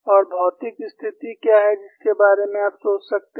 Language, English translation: Hindi, And what is a physical situation which you can think of